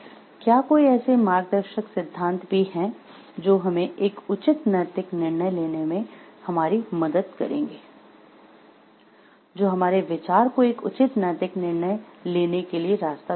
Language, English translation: Hindi, Are there any guiding principles which will help us to take a proper ethical decision, which show our view how to take a proper ethical decision